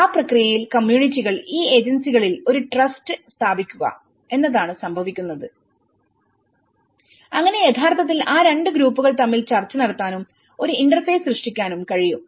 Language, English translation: Malayalam, In that process, what happens is communities establish a trust on these agencies which can actually negotiate and may create an interface between both the groups